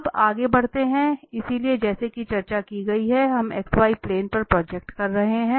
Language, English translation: Hindi, Now, moving further, so we are projecting on the x y plane as discussed